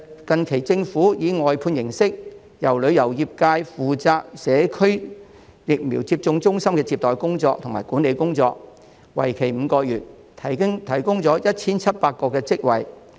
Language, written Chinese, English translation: Cantonese, 近期，政府以外判形式，讓旅遊業界負責社區疫苗接種中心的接待和管理工作，為期5個月，提供了 1,700 個職位。, Recently the Government has outsourced the reception and administration of the Community Vaccination Centres to the tourism industry for a period of five months providing 1 700 jobs